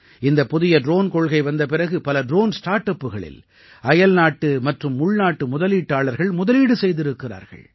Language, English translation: Tamil, I am happy to inform you that after the introduction of the new drone policy, foreign and domestic investors have invested in many drone startups